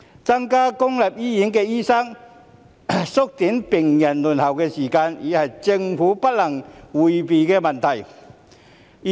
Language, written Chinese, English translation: Cantonese, 增加公立醫院的醫生人數，縮短病人輪候的時間，已是政府不能迴避的問題。, Increasing the number of doctors in public hospitals and shortening patients waiting time is an issue that the Government cannot avoid